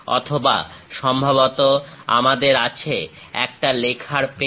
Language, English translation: Bengali, Or perhaps we have a writing pen